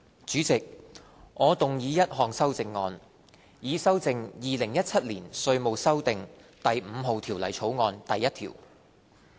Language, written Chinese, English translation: Cantonese, 主席，我動議一項修正案，以修正《2017年稅務條例草案》第1條。, Chairman I move amendments to clause 1 of the Inland Revenue Amendment No . 5 Bill 2017 the Bill